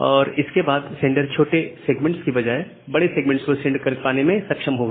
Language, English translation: Hindi, And it will be able to send the large segment rather than a small segment